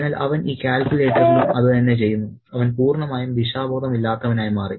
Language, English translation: Malayalam, So, he does the same thing with this calculator and he is totally disoriented